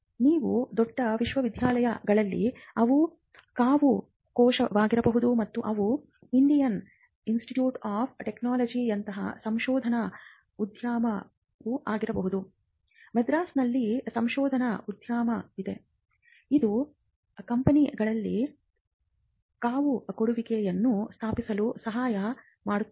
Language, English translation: Kannada, You in bigger universities, they could also be incubation cell and they could also be research park like the Indian Institute of Technology, Madras has a research park which helps companies to set up an incubate as well